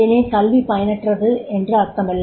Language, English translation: Tamil, So, therefore it is not that education is not useful